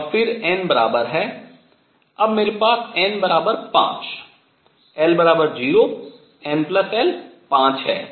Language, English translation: Hindi, And then n equals, now I have also n equals 5 l equals 0 n plus l is 5